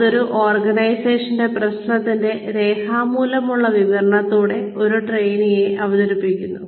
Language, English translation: Malayalam, Which presents a trainee, with the written description of an organizational problem